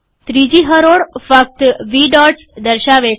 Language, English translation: Gujarati, Third row shows only v dots